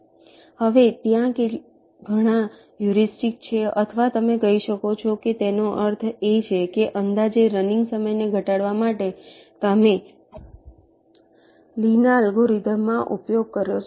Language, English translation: Gujarati, now there are several heuristics, or you can say that means approximations, that you can use in the lees algorithm to reduce the running time